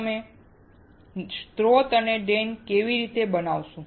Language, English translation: Gujarati, How you will create source and drain